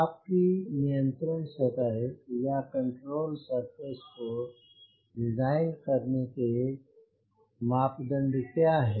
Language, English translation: Hindi, what were the parameters in order to design your control surface